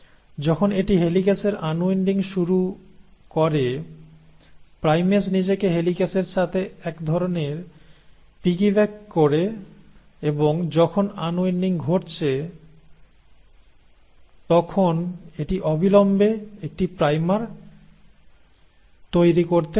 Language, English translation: Bengali, Now, as it started unwinding the helicase, the primase kind of piggybacks itself along with the helicase, and as and when there is unwinding happening, it can immediately form a primer